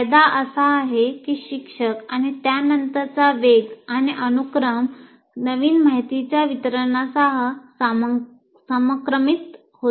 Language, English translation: Marathi, The major advantage of this is the pace and the sequence followed by the teacher generally syncs with the delivery of new information